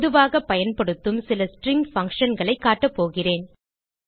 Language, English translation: Tamil, I am going to show you some of the commonly used string functions